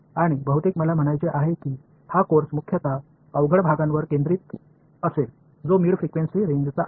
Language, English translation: Marathi, And most of I mean this course will be focused mostly on the difficult part which is mid frequency range